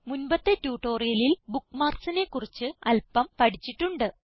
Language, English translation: Malayalam, In this tutorial, we will learn about Bookmarks